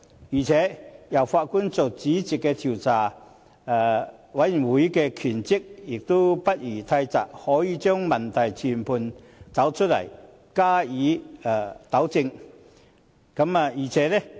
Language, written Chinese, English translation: Cantonese, 此外，由法官擔任主席的調查委員會的職權範圍亦不宜太窄，可以把問題全盤找出來，加以糾正。, In addition the remit of the judge - led Commission of Inquiry should not be too narrow so that it can identify all the problems to be rectified